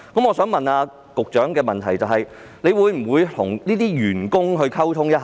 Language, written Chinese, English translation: Cantonese, 我想問，局長會否與這些員工溝通一下呢？, May I ask the Secretary whether he will communicate with these staff members?